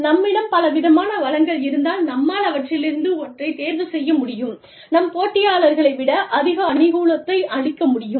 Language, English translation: Tamil, If we have a large, if we have a diverse variety of resources, to pick and choose from, we will be able to get an advantage, over our competitors